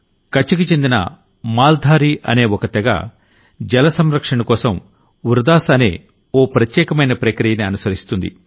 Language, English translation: Telugu, For example, 'Maldhari', a tribe of "Rann of Kutch" uses a method called "Vridas" for water conservation